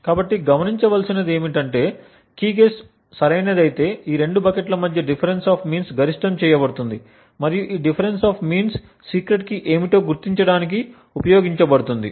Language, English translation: Telugu, So what is observed is that if the Key guess happens to be correct then this particular difference the differences between the average of these two buckets would be maximized and this maximum difference of means can be than used to identify what the secret key is